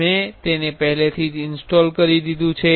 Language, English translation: Gujarati, So, I have already installed it